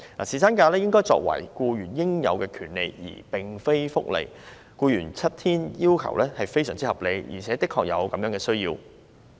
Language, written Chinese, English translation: Cantonese, 侍產假應該為僱員應有的權利而非福利，僱員要求享有7天侍產假非常合理，而且的確有這個需要。, Paternity leave should be employees entitlement rather than benefit . It is only reasonable for employees to demand seven days of paternity leave and this need is actually justified